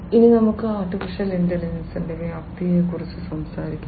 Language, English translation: Malayalam, Now, let us talk about the scope of AI